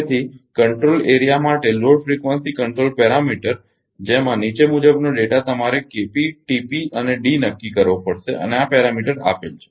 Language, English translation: Gujarati, So, the load frequency control parameter for a control area having the following data you have to determine K p, T p and D and these are the parameter given